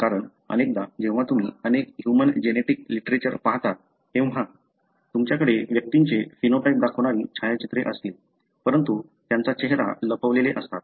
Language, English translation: Marathi, Because, often when you go and, and look into many of human genetic literatures, you would have photographs displaying a phenotype of individuals, but their face will be darkened